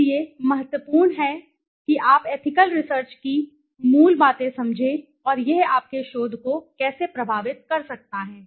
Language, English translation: Hindi, Is therefore critical that you understand the basics of ethical research and how this might affect your research